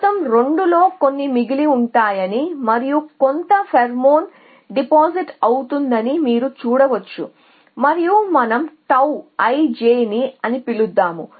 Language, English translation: Telugu, Then you can see that some of 2 whole will remain plus the new pheromone that is deposits and that we will call as tau i j n let a say